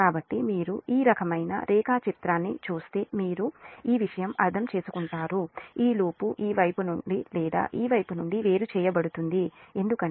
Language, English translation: Telugu, so if you look this kind of diagram, when you will, i mean this kind of thing this loop itself is isolated from this side or this side because it is a circulated, your circulating current